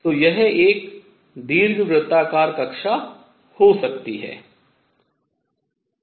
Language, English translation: Hindi, So, it could be an elliptic orbit